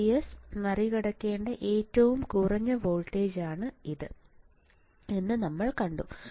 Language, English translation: Malayalam, This what we have seen that that is a minimum voltage that VGS has to cross